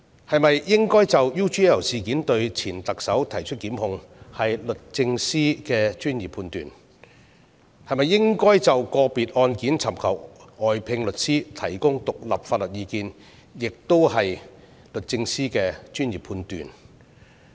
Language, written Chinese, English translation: Cantonese, 是否應就 UGL 事件向前特首提出檢控，是律政司的專業判斷，是否應就個別案件尋求外聘律師提供獨立法律意見，也是律政司的專業判斷。, It is a matter of professional judgment by the Secretary for Justice as to whether prosecution should be initiated against the former Chief Executive over the UGL incident and it is also a matter of professional judgment by the Secretary for Justice as to whether independent legal advice should be sought from outside counsel for individual cases